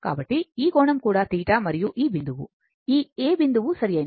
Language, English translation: Telugu, So, this angle is also theta right and this point is this point a right